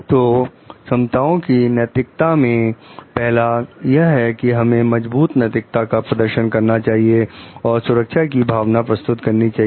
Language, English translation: Hindi, So, the first one of the ethical of the competencies that we find is demonstrate strong ethics, and provides a sense of safety